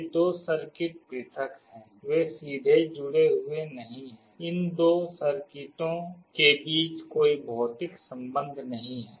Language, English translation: Hindi, These two circuits are isolated, they are not directly connected; there is no physical connection between these two circuits